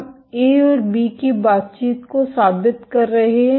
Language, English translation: Hindi, We are proving the interaction of A and B